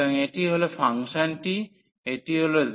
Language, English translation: Bengali, So, this is the function this is a surface z is equal to x